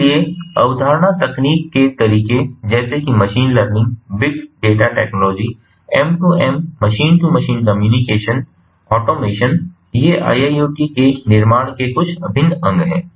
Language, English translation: Hindi, so things such as concepts, technologies, methodologies, such as machine learning, big data technology, m two m, machine to machine communication, automation these are some of the integral components for building iiot